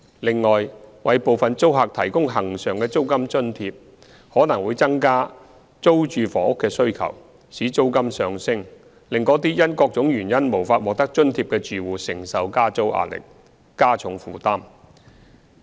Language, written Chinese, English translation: Cantonese, 另外，為部分租客提供恆常的租金津貼，可能會增加租住房屋的需求，使租金上升，令那些因各種原因無法獲得津貼的住戶承受加租壓力，加重負擔。, Furthermore providing recurrent rent subsidy to a selected group of tenants may increase the demand for rented accommodation thereby triggering a rise in rental level and increasing the burden of households who are unable to receive the subsidy due to various reasons